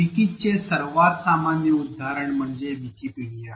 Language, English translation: Marathi, So, the most common example of wikis that we know of is Wikipedia